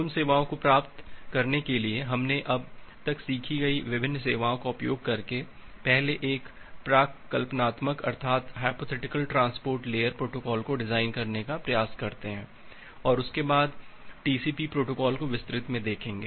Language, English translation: Hindi, Now to get those service let us first try to design a hypothetical transport layer protocol, by utilizing the various services that we have learnt till now and after that we look in to the TCP protocol in details